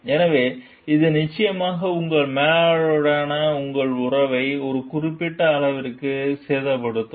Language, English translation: Tamil, So, this is definitely going to damage your relationship to certain extent with your manager